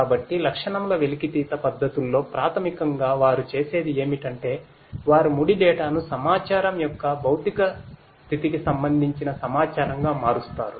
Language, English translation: Telugu, So, feature extraction methods basically what they do is they convert the raw data into information that relates to the physical state of the asset